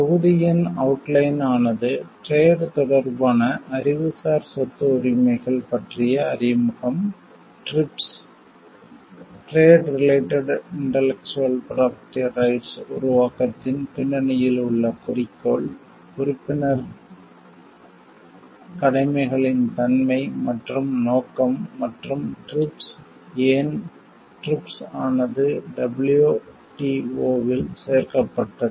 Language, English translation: Tamil, The outline of the module discusses about introduction to trade related Intellectual Property Rights, objective behind the formulation of TRIPS, nature and scope of the member obligations and the TRIPS, why was TRIPS included in WTO